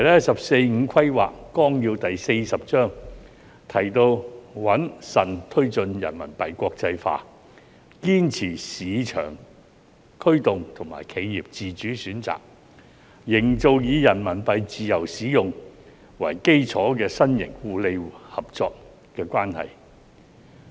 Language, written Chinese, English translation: Cantonese, 《十四五規劃綱要》第四十章提到："穩慎推進人民幣國際化，堅持市場驅動和企業自主選擇，營造以人民幣自由使用為基礎的新型互利合作關係"。, Chapter 40 of the Outline of the 14th Five - Year Plan reads We will steadily promote the internationalization of RMB in a prudent manner adhere to market - driven operation and independent choice of enterprises and create a new type of mutually beneficial cooperative relationship based on the free use of RMB